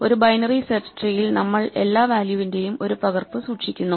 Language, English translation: Malayalam, So, in a binary search tree we keep exactly one copy of every value